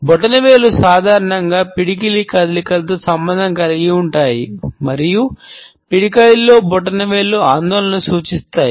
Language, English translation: Telugu, Thumbs are normally associated with the fist movements and thumbs in fist indicates an anxiety